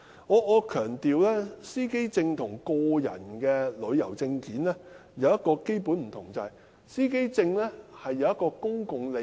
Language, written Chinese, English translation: Cantonese, 我要強調，司機證與個人旅遊證件有一個基本差異，就是司機證牽涉公共利益。, I have to emphasize that driver identity plates and travel documents are fundamentally different in that driver identity plates involve public interests